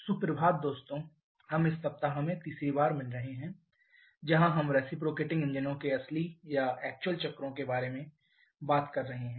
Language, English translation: Hindi, Morning friends, so we are meeting for the third time this week where we are talking about the real or actual cycles for reciprocating engines